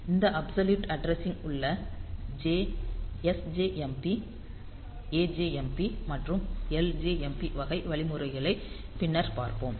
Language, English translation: Tamil, So, we will see that absolute addressing there sjmp; there the ajmp and ljmp type of instructions that we will see later